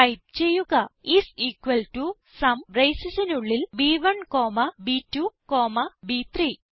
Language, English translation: Malayalam, Type is equal to SUM, and within the braces, B1 comma B2 comma B3